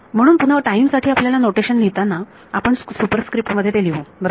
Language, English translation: Marathi, So, again the notation that will have for time is, we will put it in the superscript right